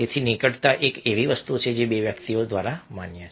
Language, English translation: Gujarati, so proximity is something which is allowed by two people